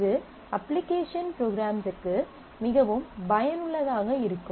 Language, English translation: Tamil, And that is something which will be extremely useful for application programming